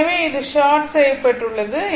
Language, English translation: Tamil, So, this is shorted right